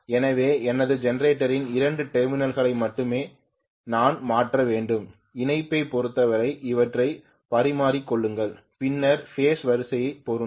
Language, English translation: Tamil, So I have to change only this particular you know the two terminals of my generator, interchange them as far as the connection is concerned, then phase sequence will match